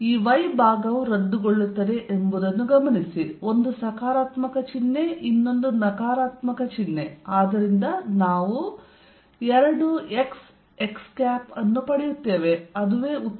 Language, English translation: Kannada, Notice that this part will cancel; 1 is positive sign, and 1 is negative sign for times 2 x x; that is the answer